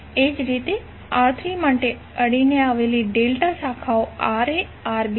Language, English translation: Gujarati, Similarly for R3, the adjacent delta branches are Rb Ra